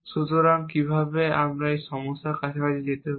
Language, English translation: Bengali, So, how do we get around this problem